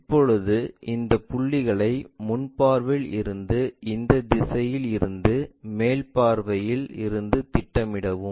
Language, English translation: Tamil, Now, project these points all the way from top view on the from the front view and also from this direction